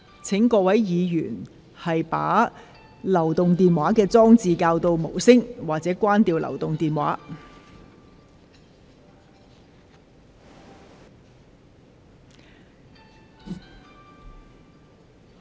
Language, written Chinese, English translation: Cantonese, 請議員將手提電話調校至靜音模式或關掉手提電話。, Will Members please switch their mobile phones to silent mode or turn them off